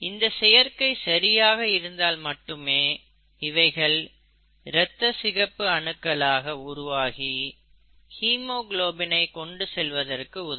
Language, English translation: Tamil, ItÕs folding correctly is what is going to result in a functional red blood cell which can carry haemoglobin, okay